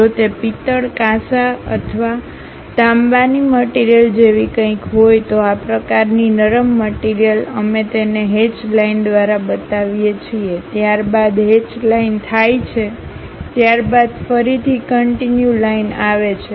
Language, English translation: Gujarati, If it is something like brass, bronze or copper material, this kind of soft materials; we show it by a hatched line followed by a dashed line, again followed by a continuous line